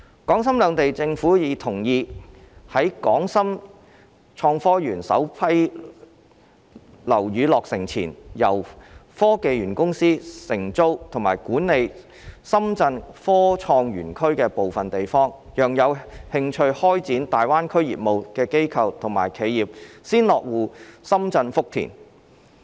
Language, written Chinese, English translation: Cantonese, 港深兩地政府已同意在港深創科園首批樓宇落成前，由科技園公司承租及管理深圳科創園區的部分地方，讓有興趣開展大灣區業務的機構和企業先落戶深圳福田。, The governments of Hong Kong and Shenzhen have agreed that before the completion of the first batch of buildings in HSITP the Hong Kong Science and Technology Parks Corporation will lease and manage certain areas of the Shenzhen Innovation and Technology Zone so that the institutes and enterprises that are interested in starting their business in GBA can first establish their presence in Futian Shenzhen